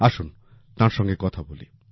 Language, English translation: Bengali, Let's speak to her